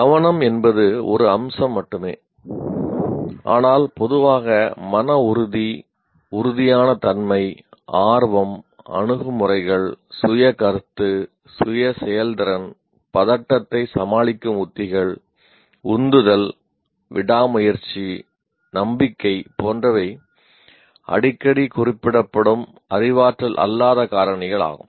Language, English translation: Tamil, Now that is attention is only one aspect but there are a whole lot of factors like grit, tenacity, curiosity, attitudes, self concept, self efficacy, anxiety coping strategies, motivation, perseverance, confidence are among the many of the frequently referred what we call non cognitive factors